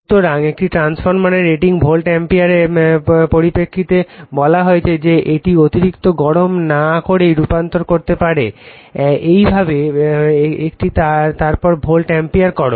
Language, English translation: Bengali, So, the rating of a transformer is stated in terms of the volt ampere that it can transform without overheating so, this way we make it then volt ampere